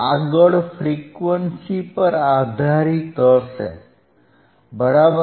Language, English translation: Gujarati, The next would be based on the frequency, right